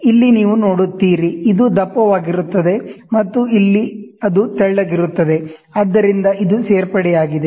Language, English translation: Kannada, So, here you see, this is thicker, and here it is thinner, so this is addition